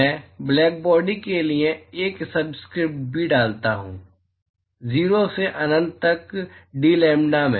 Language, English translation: Hindi, I put a subscript b, for black body, 0 to infinity into dlambda